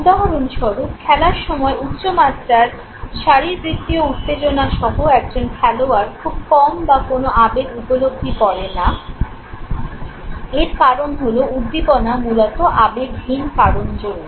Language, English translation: Bengali, For instance, a player with high level of physiological arousal during the game perceives very little or no emotion, this is because arousal is primarily, because of non emotional reasons know